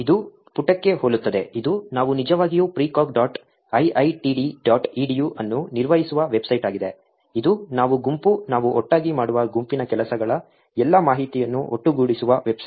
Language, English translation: Kannada, It is very similar to the page, this is the website that we have actually maintain precog dot iiitd dot edu, this is a website where we actually collate all the information that the group, the work of the group that we do together